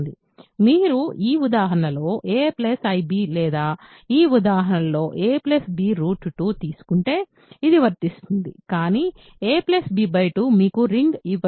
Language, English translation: Telugu, If you take a plus b i in this example or a plus b root 2 in this example, you will be fine; but a plus b by 2 is not going to give you a ring